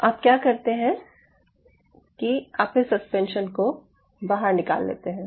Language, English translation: Hindi, that you take out this suspension